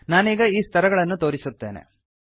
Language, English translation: Kannada, I will now demonstrate these steps